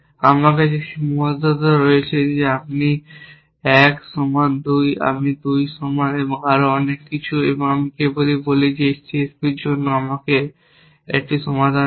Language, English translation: Bengali, So, I have these constrains I have the constrains that I 1 equal to 2, I 2 equal to and so on and I simply say give me a solution for this C S P